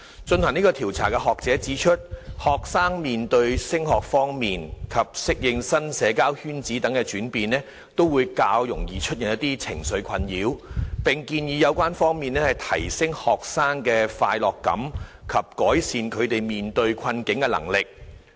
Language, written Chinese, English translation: Cantonese, 進行該調查的學者指出，學生面對升中及適應新社交圈子等轉變，較易出現情緒困擾，並建議有關方面提升學生的快樂感及改善他們面對困境的能力。, The academic who conducted the survey has pointed out that students facing changes such as moving on to secondary school and adaptation to new social circles are more susceptible to emotional distresses and recommended that the parties concerned should raise students sense of happiness and improve their ability to face adversities